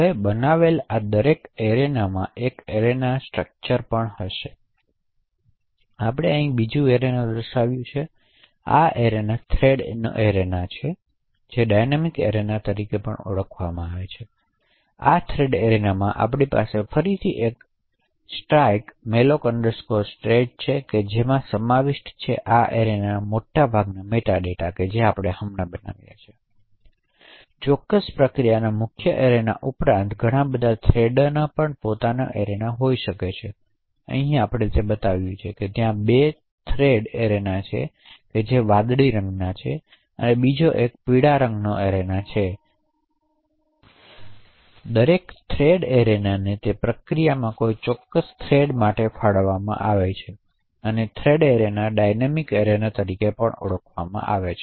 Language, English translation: Gujarati, Now every other arena that gets created would also have an arena structure, so we have another arena displayed over here so this is a thread arena also known as dynamic arena, so within this particular thread arena we again have a struck malloc state which essentially contains the meta data for this arena that has just got created, so in addition to the main arena of particular process could also have many thread arenas, so over here we have actually shown there are 2 thread arenas one in blue color and the other one in yellow, so each thread arena is allocated to a particular thread in that process, so the thread arena is also known as the dynamic arena